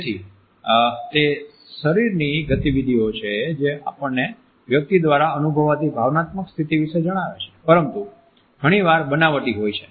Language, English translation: Gujarati, So, they are the movements of the body that tell us about the emotional state a person is experiencing, but more often faking